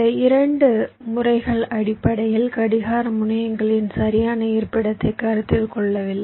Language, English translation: Tamil, ok, these two methods basically did not consider the exact location of the clock terminals